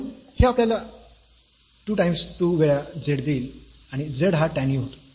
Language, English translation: Marathi, So, this will give us 2 times the z and z was tan u